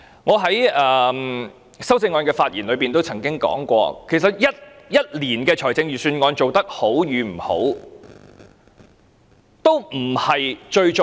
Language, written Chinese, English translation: Cantonese, 我在就修正案發言時曾說，其實一年的預算案做得好與不好，都不是最重要。, When I spoke on my amendments I said that whether the budget for a financial year is good or bad is not the most important thing